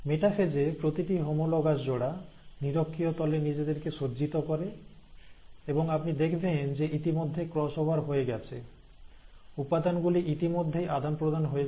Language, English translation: Bengali, Now in metaphase, that each of these homologous pairs, they arrange at the equatorial plane, and you would find that by this time the cross over has already happened, the material has been already exchanged